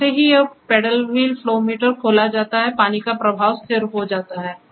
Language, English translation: Hindi, As soon as this paddle wheel flow meter is opened and the water flow is stabilized